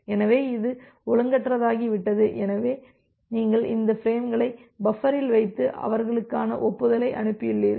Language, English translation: Tamil, So, this has received out of order so you have put those frames in the buffer and send the acknowledgement for them